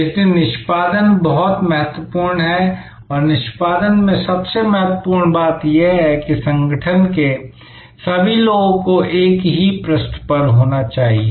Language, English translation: Hindi, So, execution is very important and in execution, the most important thing is to have everybody on the organization on the same page